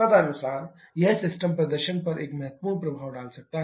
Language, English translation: Hindi, Accordingly, it can have a significant effect on the system performance